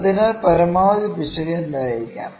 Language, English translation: Malayalam, So, what can be the maximum error